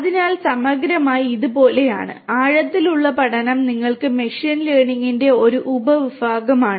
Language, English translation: Malayalam, So, holistically you know it is like this that, deep learning you can think of is a subset of machine learning